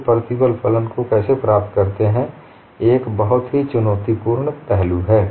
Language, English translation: Hindi, How people get the stress function is a very challenging aspect